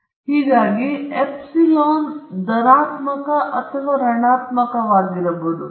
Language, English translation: Kannada, Thus, epsilon i may be either positive or negative